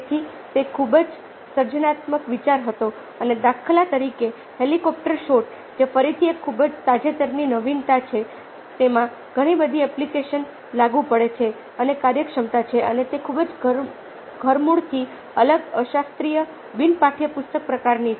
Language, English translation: Gujarati, and, for instance, the helicopter shot ah which, again ah is awarely recent innovation, has a lot of application, applicability and ah efficiency and is a very radically different un classical, un textbook kind of a sort